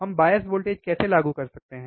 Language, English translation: Hindi, How we apply bias voltage